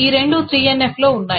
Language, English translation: Telugu, This is not in 3NF